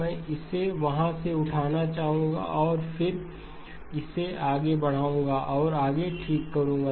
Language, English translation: Hindi, I would like to pick it up from there and then move forward and develop that further okay